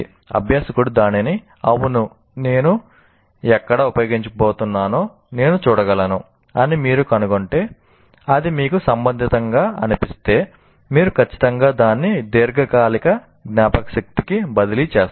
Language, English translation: Telugu, So if the learner finds it, yes, I can see what is the, where I am going to use, you are going to, if you find it relevant, then you will certainly transfer it to the long term memory